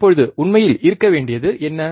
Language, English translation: Tamil, Now what should be the actual thing